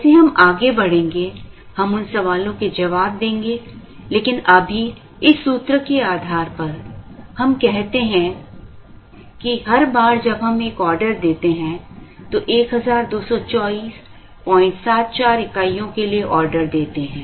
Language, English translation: Hindi, We will answer those questions as we move along, but right now based on this formula, we say that, every time we place an order, the order for 1224